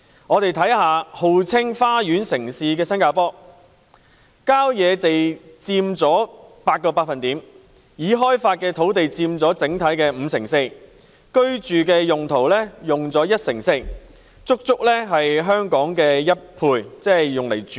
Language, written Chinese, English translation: Cantonese, 看看號稱花園城市的新加坡，郊野地帶佔總面積 8%， 已開發土地佔五成四，住宅用地佔一成四——足足是香港住宅土地的兩倍。, Let us take a look at Singapore which is known as the garden city . Countryside area accounts for 8 % of the total area developed land 54 % residential land 14 % exactly double the size of residential land in Hong Kong